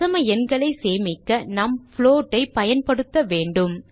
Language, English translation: Tamil, To store decimal numbers, we have to use float